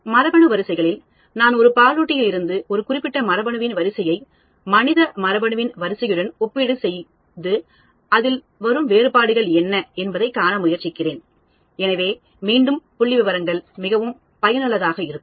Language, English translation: Tamil, Gene sequences, I am comparing a sequence of a particular gene from a mammal with the human and trying to see what are the differences, so again statistics is very useful